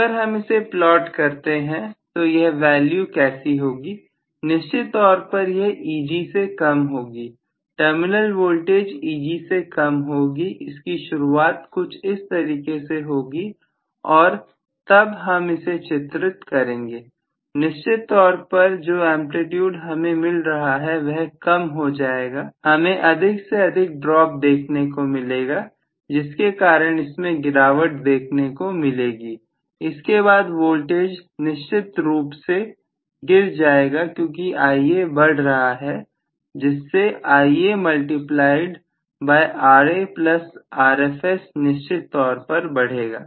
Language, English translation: Hindi, So, now if I actually plot how this value would be, it will be definitely less than Eg, terminal voltage will be less than Eg, so it may start like this and them I should draw, definitely the amplitude what I am getting will be smaller and smaller probably I am going to have more and more drop so because of which it might actually fall, eventually the voltage will definitely fall because Ia is increasing Ia multiplied by Ra plus Rfs will definitely increase